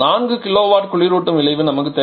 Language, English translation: Tamil, We want a refrigerating effect of 4 kilowatt